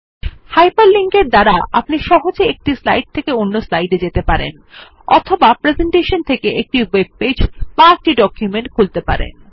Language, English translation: Bengali, Hyper linking allows you to easily move from slide to slide or open a web page or a document from the presentation